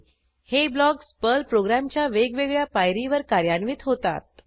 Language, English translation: Marathi, These blocks get executed at various stages of a Perl program